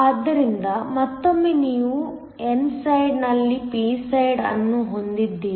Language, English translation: Kannada, So, once again you have p side on the n side